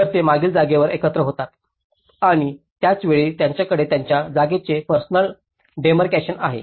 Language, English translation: Marathi, So, they gather at the rear space and at the same time they have their personal demarcation of their space